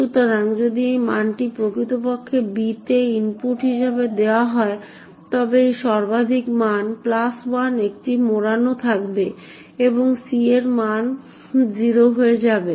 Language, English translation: Bengali, So if this value is actually given as input to b then this maximum value plus 1 will cause a wrapping to occur and the value of c would become 0